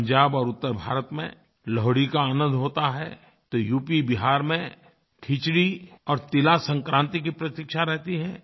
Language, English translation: Hindi, Lohdi is celebrated in Punjab and NorthIndia, while UPBihar eagerly await for Khichdi and TilSankranti